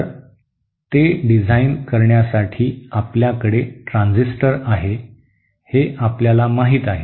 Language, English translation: Marathi, So to design it, you know you have your transistor